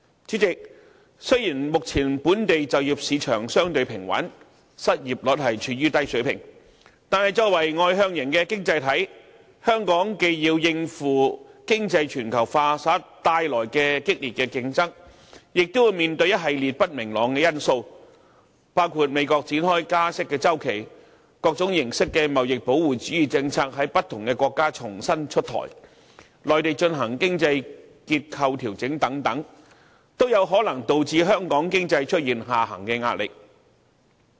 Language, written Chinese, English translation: Cantonese, 主席，雖然目前本地就業市場相對平穩，失業率處於低水平，但作為外向型經濟體，香港既要應付經濟全球化下的激烈競爭，亦要面對一系列不明朗因素，包括美國展開加息周期、各種形式的貿易保護主義政策在不同國家重新出台、內地進行經濟結構調整等，都有可能導致香港經濟出現下行壓力。, President although the local employment market remains relatively stable at present and the unemployment rate is on the low side Hong Kong as an externally - oriented economy has to face keen competition under economic globalization on the one hand and take into account a host of uncertain factors on the other . Such factors include the beginning of the interest hike cycle in the United States the reintroduction of different types of policy of trade protectionism in various countries the implementation of economic restructuring in the Mainland and so on and all these may lead to downward pressure on the Hong Kong economy